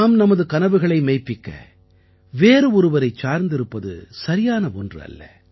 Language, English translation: Tamil, It is not fair at all that we remain dependant on others for our dreams